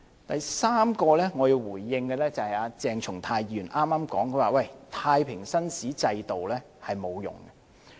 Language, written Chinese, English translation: Cantonese, 第三，我要回應的，就是鄭松泰議員剛才說，太平紳士制度沒有用。, Thirdly I have to respond to the remark made earlier by Dr CHENG Chung - tai that the JP system was useless